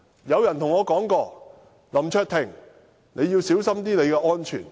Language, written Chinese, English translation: Cantonese, 有人告訴我："林卓廷，你要小心你的安全。, Someone said to me LAM Cheuk - ting you have got to be careful about your own safety